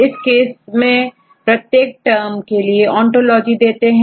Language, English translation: Hindi, So, in this case they give the ontology of each terms